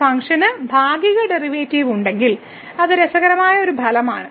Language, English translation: Malayalam, So, if a function can have partial derivative that is a interesting result